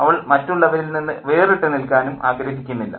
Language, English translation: Malayalam, She doesn't want to stand out